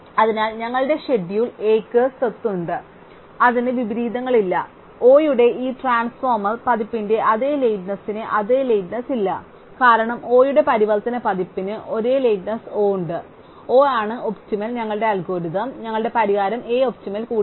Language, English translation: Malayalam, Therefore, our schedule A which has the property that it has no inversions and no idle time as the same lateness as this transformed version of O at since a transformed version of O has the same lateness O itself and O is optimal our algorithm our solution A is also optimal